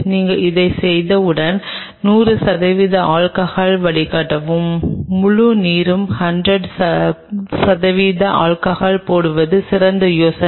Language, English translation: Tamil, Once you have done this then the best idea is put 100 percent alcohol drain the whole water put 100 percent alcohol in it